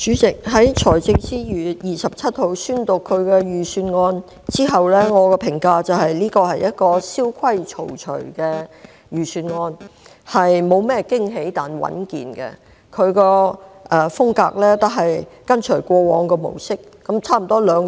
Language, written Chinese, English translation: Cantonese, 主席，財政司司長於2月27日宣讀財政預算案後，我的評價是，這份預算案蕭規曹隨，沒有甚麼驚喜，但屬穩健，他的風格是跟隨過往的模式。, President having read the Budget delivered by the Financial Secretary on 27 February my comment was that it followed the established rules and regulations without giving us surprises or risks . It is his style to model on the past